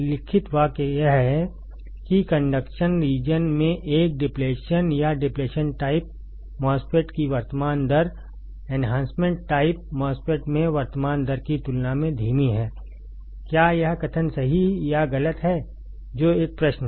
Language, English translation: Hindi, The sentence written is that, in the conduction region, the current rate of an depletion or of a depletion type MOSFET is slower than the current rate in enhancement type MOSFET, is this statement true or false that is a question